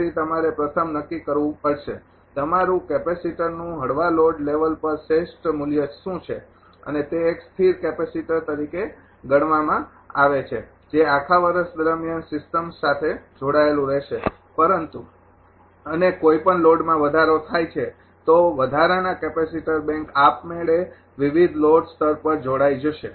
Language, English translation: Gujarati, So, you have to first determine; what is the ah your ah capacitor optimize value at the light load level and that can be treated as a fixed capacitor which will remain connected to the system all through the year, but ah and any any load further increased that additional capacitor bank will automatically connected at various load level